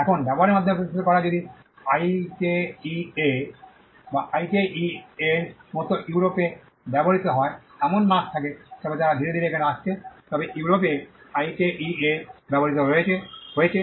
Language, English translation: Bengali, Now, establishing by use is if there is a mark that is used in Europe like IKEA, IKEA they are slowly coming here, but IKEA has been used in Europe